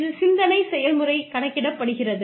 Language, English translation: Tamil, It is the thought process, that counts